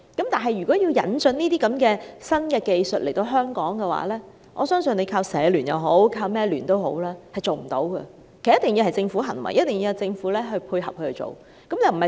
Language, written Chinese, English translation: Cantonese, 但是，如果要引進這些新技術來香港，我相信單靠香港社會服務聯會或其他民間組織也不能成事，必須由政府牽頭，由政府配合去做。, However if we want to introduce these new techniques into Hong Kong I do not think that we can just rely on the Hong Kong Council of Social Service HKCSS or other community organizations to get the job done . The Government must take the lead and play a coordinating role